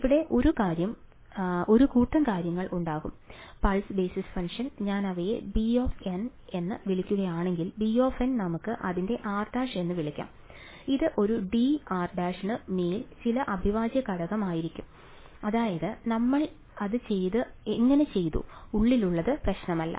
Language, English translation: Malayalam, And so there is there is going to be a bunch of things over here right and the pulse basis function if I call them as b n right, b n of let us call it r prime right; it is going to be some integral over a d r prime that is how we did it whatever is inside does not matter